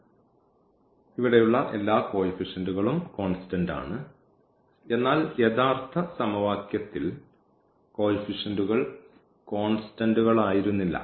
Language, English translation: Malayalam, So, all the coefficients here are constant whereas, this in original equation the coefficients were not constant